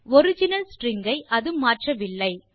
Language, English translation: Tamil, It doesnt change the original string